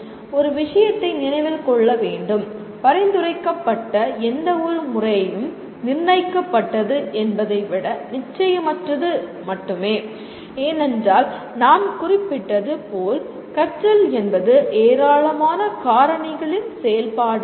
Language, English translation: Tamil, One thing should be remembered, any method that is suggested is only probabilistic rather than deterministic because learning as we noted is a function of a large number of factors